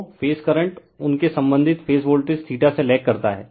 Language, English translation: Hindi, So, the phase current lag behind their corresponding phase voltage by theta